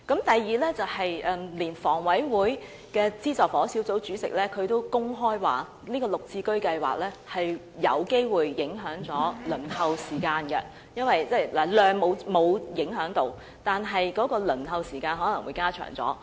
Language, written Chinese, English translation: Cantonese, 第二，連香港房屋委員會的資助房屋小組委員會主席也公開表示，"綠置居"會有機會影響輪候公屋的時間，即在數量方面沒有影響，但輪候時間卻可能會加長。, Second even the Chairman of the Subsidised Housing Committee under the Hong Kong Housing Authority HA has openly remarked that GSH may have an impact on the waiting time for PRH units . This means that the waiting time will be lengthened although the quantity of PRH supply will not be affected